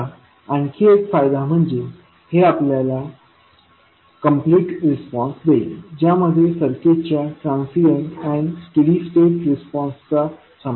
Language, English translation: Marathi, Now, another advantage is that this will give you a complete response which will include transient and steady state response of the circuit